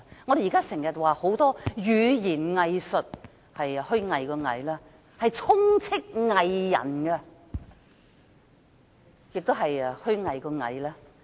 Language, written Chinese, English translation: Cantonese, 我們現在經常提到語言"偽術"，是虛偽的偽；四處充斥着"偽人"，也是虛偽的偽。, Now we often talk about double talk the art of hypocrisy . Hypocrites abound acting with hypocrisy